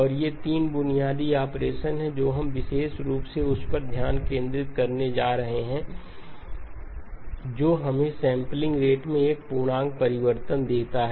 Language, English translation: Hindi, And these are the 3 basic operations we are going to be focusing very specifically on that which gives us an integer change in the sampling rate